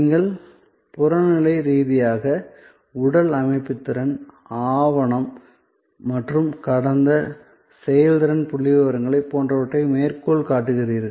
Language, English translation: Tamil, So, you objectively document physical system capacity, document and cite past performance statistics, etc